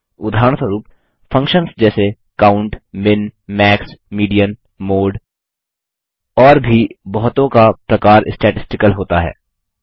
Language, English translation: Hindi, For example, functions like COUNT, MIN, MAX, MEDIAN, MODE and many more are statistical in nature